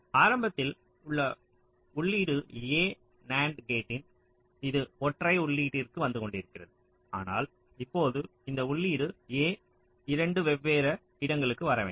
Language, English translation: Tamil, initially this input a was coming to this single input of nand gate, but now this input a must come to two different places